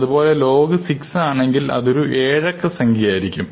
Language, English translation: Malayalam, And we go to log 6, we will have a 7 digit number and so on